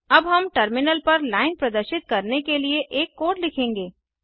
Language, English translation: Hindi, We will now write a code to display a line on the Terminal